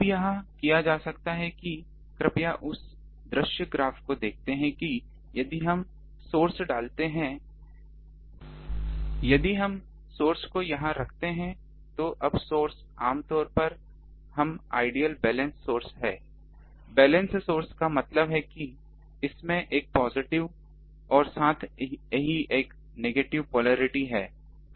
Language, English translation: Hindi, Now, this can be done please look at the view graph ah that if we put the source if we put the source here, now source generally we deal with balance sources; balance sources means it has a positive as well as a negative polarity